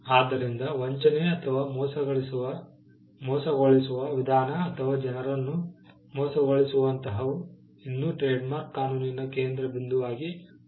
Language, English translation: Kannada, So, deception or deceptive similarity or something that could deceive people still remains at the centre or still remains the focal point of trademark law